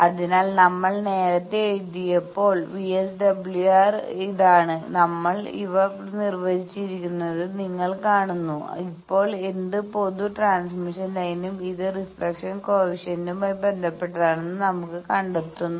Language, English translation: Malayalam, So, when we wrote earlier that, VSWR is this thing, you see we have defined these, now we are finding that in any general transmission line it is related to the reflection coefficient as 1 plus reflection coefficient’s magnitude by 1 minus reflection coefficient’s magnitude